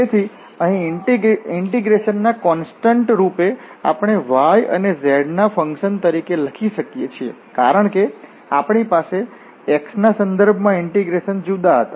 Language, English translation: Gujarati, So, here as a constant of integration we can write as a function of y and z because we were different integrating with respect to x